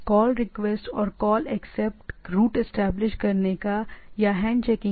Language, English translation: Hindi, Call request and call accept packet establish connection or hand shaking